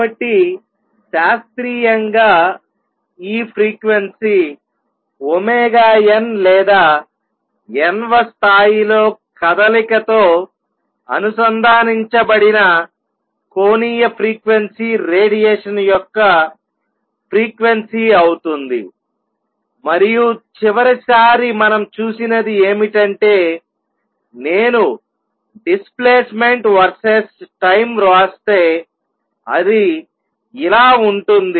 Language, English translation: Telugu, So, classically this frequency omega n or the angular frequency connected with the motion in the nth level will be the frequency of radiation and what we saw last time is that if I write its displacement verses time, it is like this